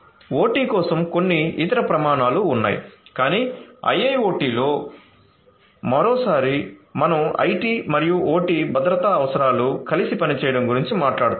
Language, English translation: Telugu, There are a few are different other standards for OT which are in place, but in IIoT once again we are talking about IT and OT security requirements working together